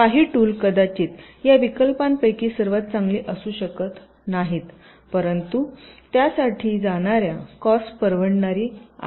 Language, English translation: Marathi, some of the tools, though, may not be the best possible among the alternatives, but the cost may be affordable for you to go for that